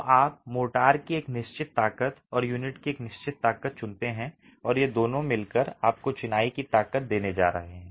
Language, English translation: Hindi, So you choose a certain strength of motor and a certain strength of unit and these two together are going to give you a strength of the masonry